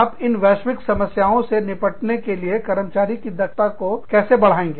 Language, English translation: Hindi, How do you, make the employees, capable of dealing with these, global problems